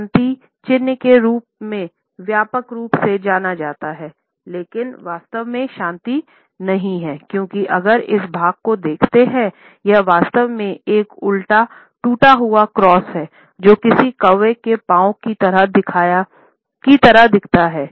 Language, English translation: Hindi, Much like this symbol here is widely known as the peace sign, but does not really mean peace, because if you look at this part here, it is really an upside down broken cross which kind of looks like a crow’s foot